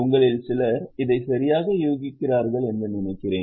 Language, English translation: Tamil, I think some of you are guessing it correctly